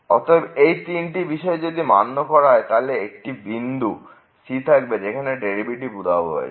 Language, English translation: Bengali, So, if these three conditions are satisfied then there will exist a point where the derivative will vanish